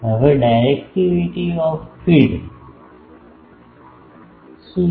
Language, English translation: Gujarati, Now, what is directivity of the feed